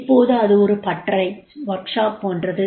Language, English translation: Tamil, Now this is sort of a workshop